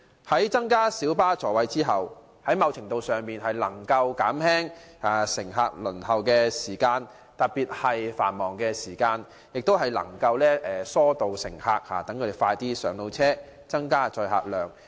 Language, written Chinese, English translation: Cantonese, 增加小巴座位後，某程度上能夠縮減乘客候車的時間，特別是在繁忙時段，有助疏導乘客，讓他們可盡快上車。, With an increased number of seats in light buses the waiting time of passengers can be shortened to a certain extent especially during peak hours . As passengers can quickly board a light bus this helps ease passenger flow